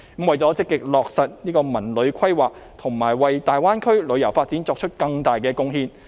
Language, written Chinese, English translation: Cantonese, 為了積極落實這個文化和旅遊規劃，以及為大灣區旅遊發展作出更大貢獻。, It sought to proactively implement this cultural and tourism plan and to make greater contribution to the tourism development in the Greater Bay Area